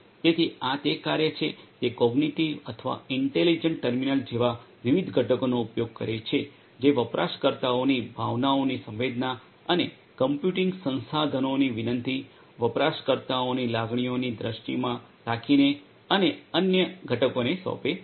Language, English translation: Gujarati, So, this is the work which uses different components such as the cognitive or the intelligent terminal which is tasked with the sensing of the users emotions and requesting computing resources based on the perception of the emotions of the users and different other components